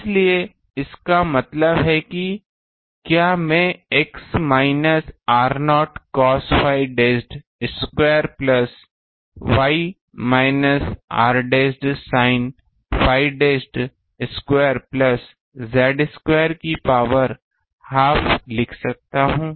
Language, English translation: Hindi, So; that means, can I write x minus r naught cos phi dashed square plus y minus r dashed sin phi dashed square plus Z square to the power half